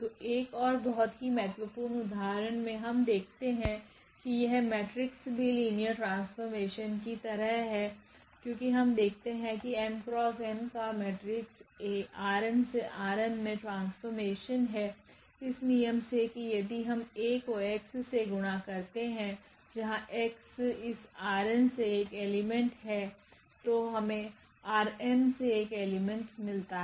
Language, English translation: Hindi, So, another very important example we will see that these matrices are also like linear maps because of the reason we take any m cross n matrix and A is the transformation from this R n to X m by this rule here that if we multiply A to this x; x is an element from this R n then we will get element a in R m